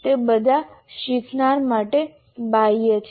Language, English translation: Gujarati, All these are external to the learner